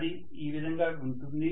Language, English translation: Telugu, This can go like this